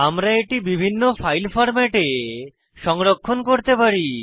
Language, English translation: Bengali, Save the image in various file formats